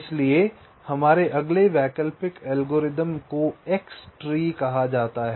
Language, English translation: Hindi, so our next alternate algorithm, this is called x tree